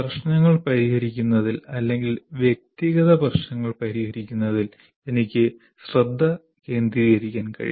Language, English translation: Malayalam, I can start discussions, I can focus on solving the problems or address individual issues